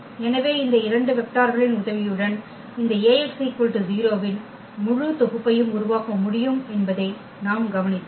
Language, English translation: Tamil, So, what we observed that with the help of these two vectors we can generate the whole set whole solution set of this A x is equal to 0